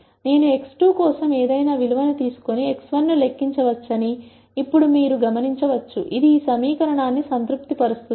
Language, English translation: Telugu, Now you can notice that I can take any value for x 2 and then calculate an x 1, which will satisfy this equation